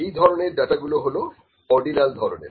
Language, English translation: Bengali, That kind of data is known as ordinal data